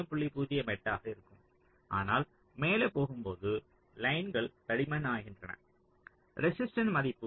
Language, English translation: Tamil, but as you move up the lines become thicker so the resistance value is decreasing